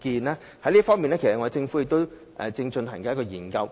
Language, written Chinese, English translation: Cantonese, 在這方面，政府其實正進行一項研究。, In this regard the Government is actually conducting a study now